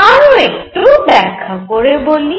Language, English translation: Bengali, Let me explain further